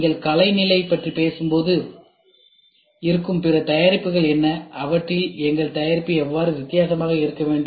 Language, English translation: Tamil, When you talk about state of art, what are the other products existing and how should our product be different from them